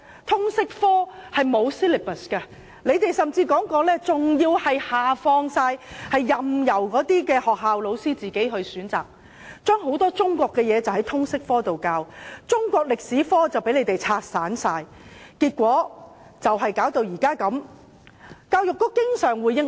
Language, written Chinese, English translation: Cantonese, 通識科本身沒有 syllabus， 有人甚至提出要完全下放權力，任由學校老師自行選擇，把很多中國的國情在通識科內教授，中史科被完全拆散，結果導致目前的景況。, There is no syllabus for Liberal Studies . Some people even suggested a total devolution by allowing school teachers to decide whether or not to include a number of national issues in the teaching of Liberal Studies . The syllabus of Chinese History has been completely taken apart resulting in the current situation